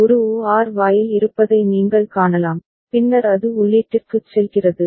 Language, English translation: Tamil, You can see there is an OR gate, then it is going to the input